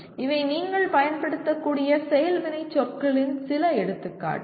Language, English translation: Tamil, These are some examples of action verbs that you can use